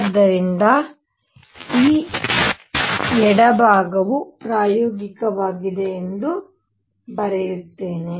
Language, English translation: Kannada, So, let me write this left hand side is experimental